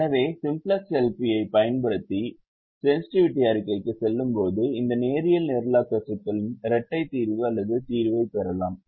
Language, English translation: Tamil, so when we use the simplex, l, p and go to the sensitivity report, we can also get the dual solution or solution to the dual of this linear programming problem